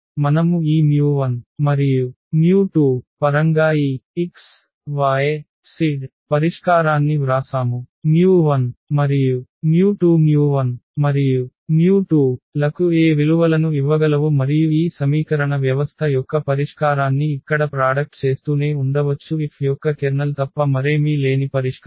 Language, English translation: Telugu, So, we have written this x, y, z the solution in terms of this mu 1 and mu 2 we can play now mu 1 mu 2 can give any values to mu 1 and mu 2 and we can keep on generating the solution here of this system of equation and the solution that is nothing but the Kernel of F